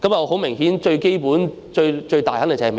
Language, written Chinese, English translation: Cantonese, 很明顯，最基本、最想這樣做的是美國。, Apparently all in all the one most eager to do so is the United States